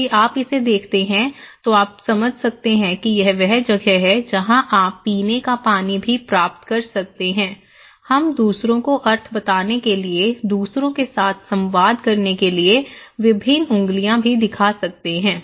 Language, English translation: Hindi, If you see this one, you can understand that this is where you can get drinking water also, we can show various fingers too to tell the meaning to others, communicate with others